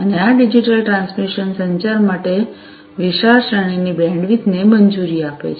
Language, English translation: Gujarati, And, this digital transmission allows wide range of bandwidth for communication